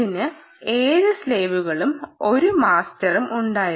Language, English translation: Malayalam, ah, you had seven slaves and a master and so on